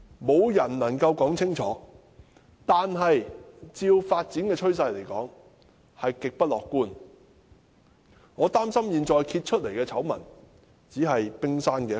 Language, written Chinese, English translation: Cantonese, 沒人能說清楚，但按照發展的趨勢，極不樂觀，我擔心現在被揭發的醜聞只是冰山一角。, Nobody can tell but the situation is extremely pessimistic based on the trend of development . I am worried that the scandal uncovered may only be the tip of the iceberg